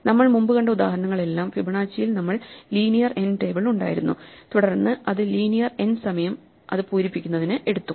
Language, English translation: Malayalam, In all the examples we saw before, the Fibonacci we had a table which is linear in n and it took time linear in n to fill it